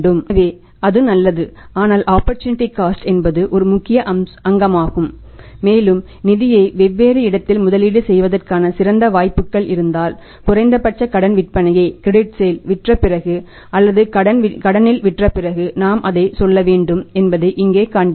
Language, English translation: Tamil, So, that is fine but opportunity cost is important component and we have to see here that if we are having the better opportunities to invest the funds elsewhere that we should go for that after selling for a minimum amount of the credit sales or selling on credit